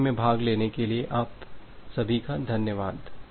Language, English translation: Hindi, So, thank you all for attending the course